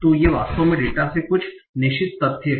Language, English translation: Hindi, So we have extracted certain facts from the data